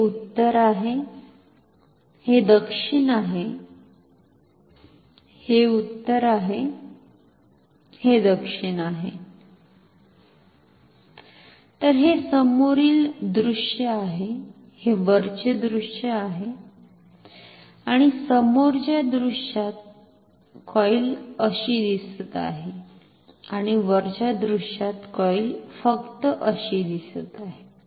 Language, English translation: Marathi, This is north, this is south, this is north, this is south so, this is the front view this is the top view and in the front view the coil looks like this and in the top view the coil just looks like this